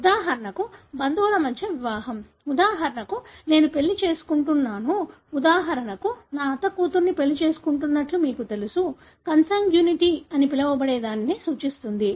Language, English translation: Telugu, For example marriage between cousin; for example I am marrying, you know married to my aunt’s daughter for example; know that represents what is called consanguinity